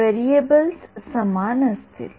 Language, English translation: Marathi, Variables will be same in